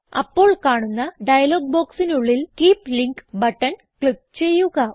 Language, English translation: Malayalam, In the dialog box that appears, click on Keep Link button